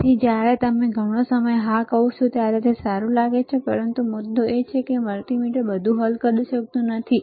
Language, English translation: Gujarati, So, when you say lot of time yes it looks good, but the point is multimeter cannot solve everything